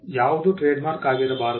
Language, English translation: Kannada, What cannot be trademark